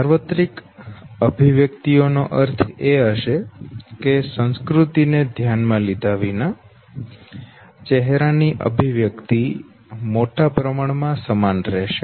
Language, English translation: Gujarati, Universal expressions would mean that irrespective of the culture, the facial expression would by a large remain the same okay